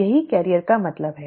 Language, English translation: Hindi, That is what the carrier means